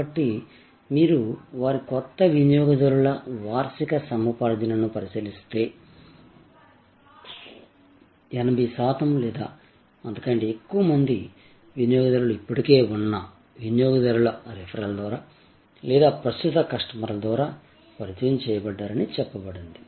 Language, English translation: Telugu, So, if you look at their annual acquisition of new customers, it has been said that 80 percent or more of the customers actually are coming through referral of existing customers or introduced by existing customers